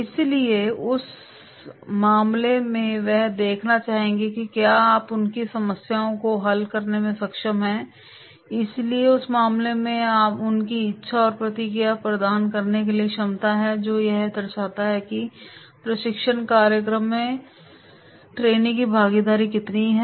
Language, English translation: Hindi, So therefore, in that case they would like to see that is you are able to solve their problems so in that case that is their willingness and ability to provide the feedback that shows how much trainees’ involvement is there in the training program